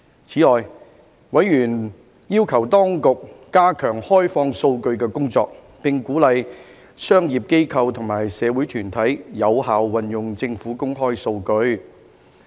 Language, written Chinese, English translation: Cantonese, 此外，委員要求當局加強開放數據的工作，並鼓勵商業機構和社會團體有效運用政府公開數據。, In addition members requested the Administration to step up its efforts in opening up data and encourage commercial organizations and community groups to make effective use of government open data